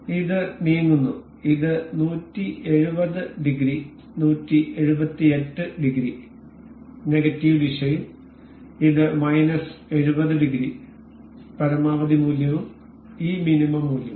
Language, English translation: Malayalam, This is moving this completes 170 degree, 178 degrees and in the negative direction this is minus 70 degree; maximum value and this minimum value